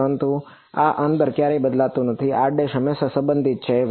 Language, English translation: Gujarati, But inside this never changes, r prime is always belonging to v 2